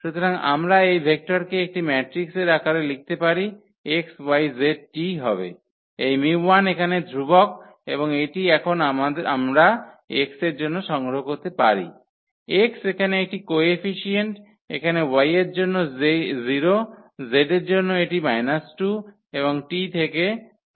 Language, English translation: Bengali, So, we can write down in a matrix in this vector form x, y, z, t will be this mu 1 the constant here and this we can collect now for x, x is one the coefficient here for y it is 0, for z it is minus 2 and from t it is 1